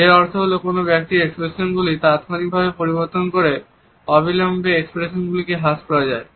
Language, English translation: Bengali, It means that when expressions are immediately curtailed by instantly changing ones expressions